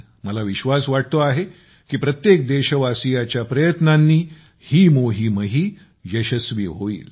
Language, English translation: Marathi, I am sure, the efforts of every countryman will make this campaign successful